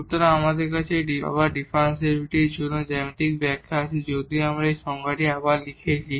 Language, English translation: Bengali, So, now we have the geometrical interpretation for the differentiability again just though we have rewritten that definition